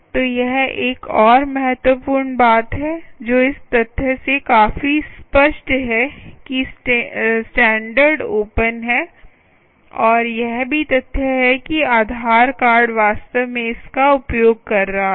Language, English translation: Hindi, so that is the another important thing: ah, which is quite obvious from the fact that ah the standard is open and also the fact that aadhar card was actually using it right, is actually using this as a messaging protocol